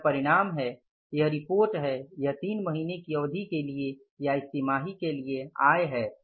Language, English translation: Hindi, This is the result, this is the report, this is the income for the period of three months or for this quarter